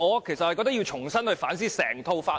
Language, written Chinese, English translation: Cantonese, 其實我認為要重新反思整套法例。, In fact I consider it necessary to reflect on the entire law afresh